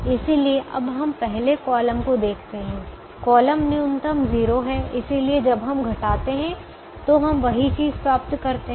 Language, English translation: Hindi, we look at the second column: the column minimum is zero and we will get the same numbers